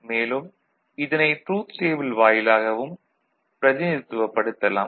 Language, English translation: Tamil, This can be represented through the truth table also